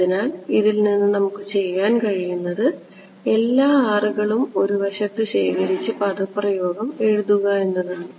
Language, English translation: Malayalam, So, from this all what we can do is gather all the R's on one side and write the expression